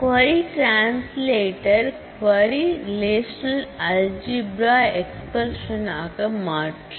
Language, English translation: Tamil, The query translator, translates the query into relational algebra expressions